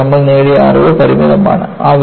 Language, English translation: Malayalam, But, the knowledge is limited